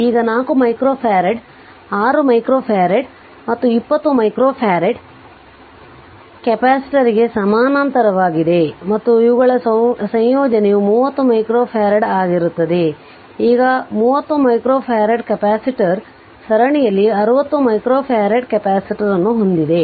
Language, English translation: Kannada, Now 4 micro farad is in parallel with 6 micro farad and 20 micro farad capacitor all are written here and their combine will be 30 micro farad you add them up